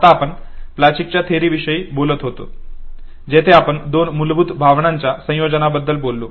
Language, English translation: Marathi, Right now we were talking about the Plutchik’s theory where we talked about the combination of two of the basic emotions